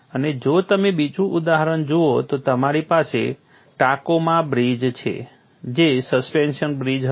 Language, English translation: Gujarati, And if you look at another example, you have the Tacoma Bridge which was a suspension bridge